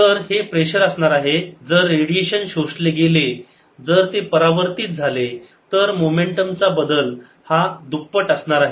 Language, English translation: Marathi, if the radiation gets absorbed, if its get reflected, then the momentum change is going to be twice as much